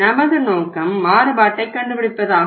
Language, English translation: Tamil, Our objective is to find out the variation